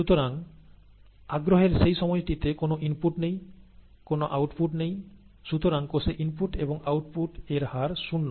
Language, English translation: Bengali, Therefore during that time of interest, there is no, there are no inputs, there are no outputs, and therefore the rates of input and output of cells is zero